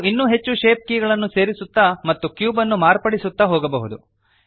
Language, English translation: Kannada, We can keep adding more shape keys and modifying the cube as we go